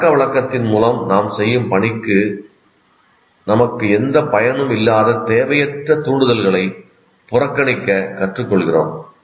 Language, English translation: Tamil, So the learning now through habituation we learn to ignore what do you call unnecessary stimuli that have no use for us for the task that we are doing